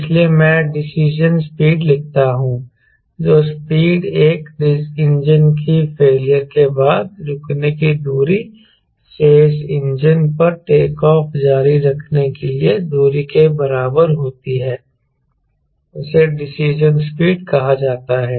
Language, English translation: Hindi, so either decision is speed, the speed at which the distance to stop after one engine failure exactly equals the distance to continue the takeoff on the remaining engine, which is decision speed